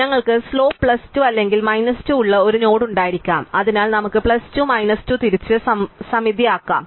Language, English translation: Malayalam, So, we might have a node which has slope plus 2 or minus 2, so let us look at plus 2 minus 2 turn out be symmetric